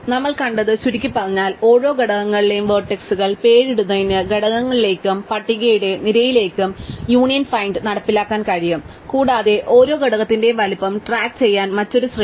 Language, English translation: Malayalam, So, to summarize what we have seen is that we can implement Union Find using an array to components and array of list to name the vertices in each components, and another array to keep track of the size of each component